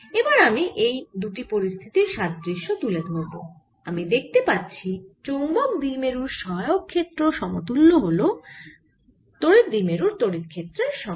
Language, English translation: Bengali, now if i can draw an analogy between this two, i will see that the auxiliary field of the point dipole is equivalent to the electric field of a electric dipole